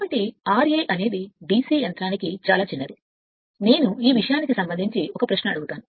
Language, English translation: Telugu, So, r a is the r a is very small for DC machine I put a question to you we are in this thing